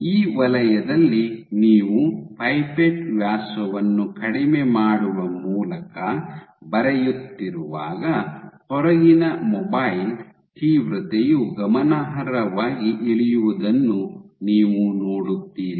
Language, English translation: Kannada, In this zone when you are drawing reducing the pipette diameter then you see that the mobile intensity int inside to outside drops significantly